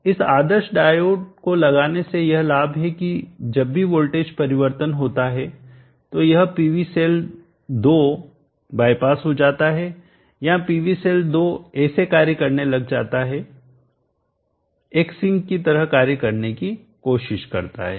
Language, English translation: Hindi, The advantage in putting this ideal diode is that PV cell 2 is bypassed whenever there is a voltage inversion or the PV cell 2 acts like tries to act like a sink